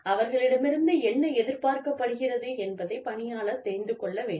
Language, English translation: Tamil, Employee should know, what is expected of them